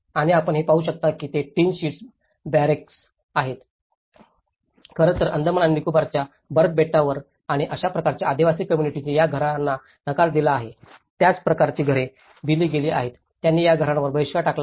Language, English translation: Marathi, And what you can see is a barracks of the tin sheets, in fact, the similar kind of housing has been provided in the Andaman and Nicobar ice islands and the tribal communities they rejected these houses, they have boycotted these houses